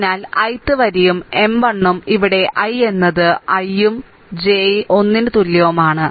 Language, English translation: Malayalam, So, ith row and M 1 1 means here i is equal to 1 and j is equal to 1